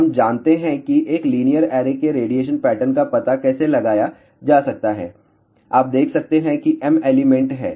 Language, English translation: Hindi, So, we know how to find out the radiation pattern of a linear array you can see that there are M elements